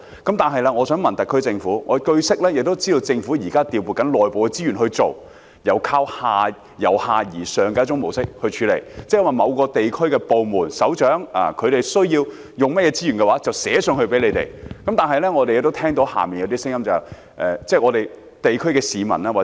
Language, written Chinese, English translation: Cantonese, 可是，我想問特區政府，據悉，政府現正調撥內部資源進行一種由下而上的模式來處理問題，即某個地區的部門首長需要使用甚麼資源的話，可由下層向上層提出書面要求。, Nevertheless I wish to ask the SAR Government a question . Since it is reported that the Government is adopting a bottom - up approach through the allocation of internal resources to deal with the problem that is if the head of the department in a certain district needs some resources he may submit written request to his superior